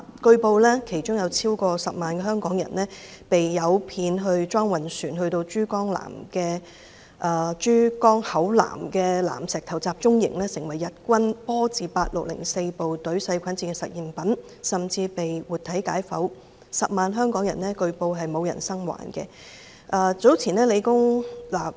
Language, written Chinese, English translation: Cantonese, 據報，其中有超過10萬名香港人被誘騙到裝運船，被送到珠江口南石頭集中營，成為日軍波字第八六零四部隊細菌戰的實驗品，甚至被活體解剖，據報當中沒有一個人生還。, As reported more than 100 000 Hong Kong people were deceived to board shipment vessels and they were sent to the Nanshitou Concentration Camp in the Pearl River estuary . They became the guinea pigs of the germ warfare of the Japanese South China Expeditionary Army Nami Unit 8604 and they were even slaughtered alive . It was reported that none of them survived